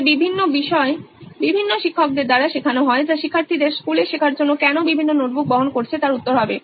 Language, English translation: Bengali, So different subjects are taught by different teachers that would be the answer to why students are carrying several notebooks for learning in school